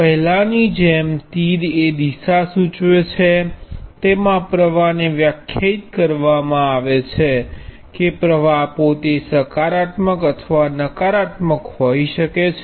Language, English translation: Gujarati, As before, the arrow indicates the direction in which the current is defined that current itself could be positive or negative